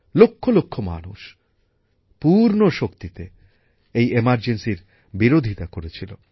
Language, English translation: Bengali, Lakhs of people opposed the emergency with full might